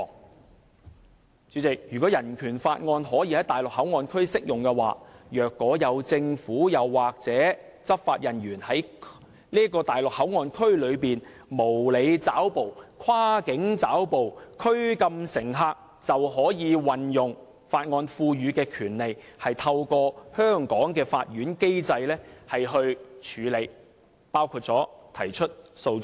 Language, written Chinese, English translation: Cantonese, "代理主席，如果《人權法案條例》可以在內地口岸區適用，若有政府或執法人員在內地口岸區內無理抓捕、跨境抓捕及拘禁乘客，就可以運用《人權法案條例》賦予的權利，透過香港的法院機制處理，包括提出訴訟。, Deputy Chairman if BORO can remain in force in MPA in the event that any unreasonable capture cross - boundary capture or detention of passengers is made by any government or law enforcement officers in MPA the rights conferred by BORO can be exercised to deal with them through the system of courts in Hong Kong including the institution of legal proceedings